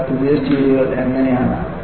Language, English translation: Malayalam, So, the new steels are like that